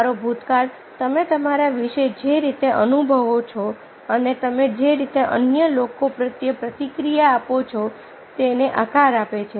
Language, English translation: Gujarati, your past shapes the way you feel about yourself and the way you react to others